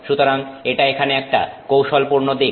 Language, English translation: Bengali, And so that is a very tricky aspect here